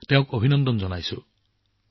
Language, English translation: Assamese, I congratulate him